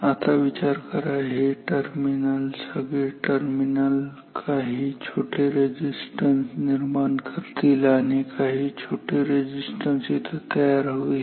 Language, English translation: Marathi, Now it can think that all these terminals they will contribute some small resistance here and some small resistance here